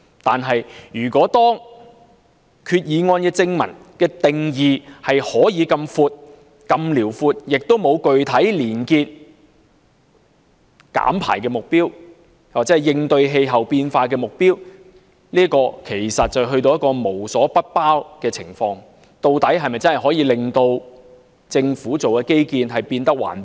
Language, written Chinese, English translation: Cantonese, 然而，擬議決議案正文的定義如此廣闊，亦沒有具體連結減排或應對氣候變化的目標，其實會出現無所不包的情況，究竟擬議決議案是否真的可以令政府基建變得環保？, Nevertheless such a broad definition in the body text of the proposed Resolution without any specific objective relating to emission reduction or in response to climate change will actually become a catch - all . Will the Governments infrastructure projects really go green because of the proposed resolution?